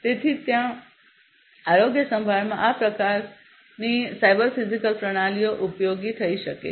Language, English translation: Gujarati, So, that is where you know in healthcare this kind of cyber physical systems can be useful